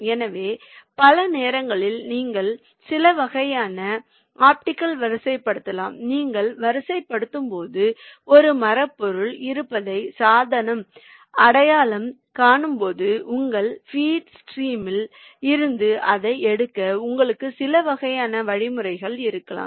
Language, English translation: Tamil, so many times you can have some kind of your optical sorters when you are sorting device identifies that there is a wooden material, you may have some kind of mechanism to take it out from this, your feed stream